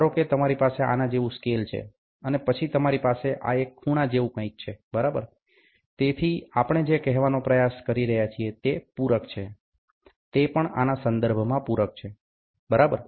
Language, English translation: Gujarati, Suppose, if you have a scale like this and then you have something like this as an angle, ok, so what we are trying to say is this is supplement and with respect to this, this is also supplement, ok